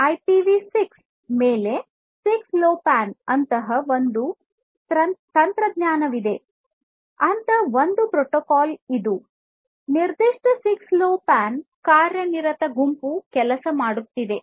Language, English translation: Kannada, So, IPv6 over 6LoWPAN is one such technology; one such protocol one such protocol which is being worked upon by a specific 6LoWPAN working group